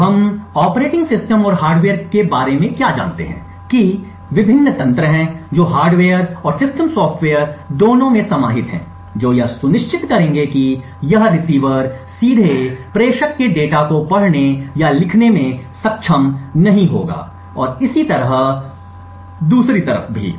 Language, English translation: Hindi, So what we do know about the operating system and the hardware is that there are various mechanisms which are incorporated in both the hardware and the system software that would ensure that this receiver would not directly be able to read or write data from the sender and vice versa